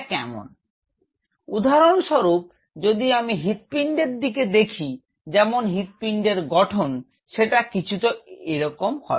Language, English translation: Bengali, So, say for example, if I recope in the heart within it say the structure of the heart is something like this